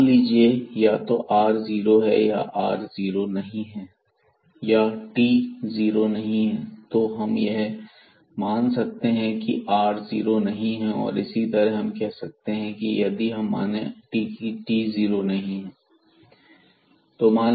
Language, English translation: Hindi, So, now we will consider that or we will assume that r is not equal to 0, here we can also assume that if this r is 0 in case then we can assume that t is not equal to 0